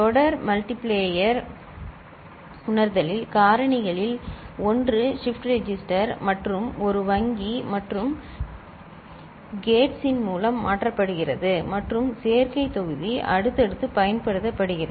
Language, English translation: Tamil, In serial multiplayer realization, one of the factors is shifted through a shift register and one bank of AND gates and the adder block is used successively